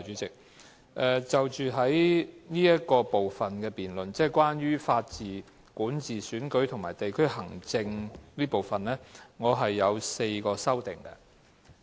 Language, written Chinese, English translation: Cantonese, 就着這部分關於"法治、管治、選舉及地區行政"的辯論環節，我提出了4項修正案。, With regard to this part on Rule of Law Governance Elections and District Administration I have put forward four amendments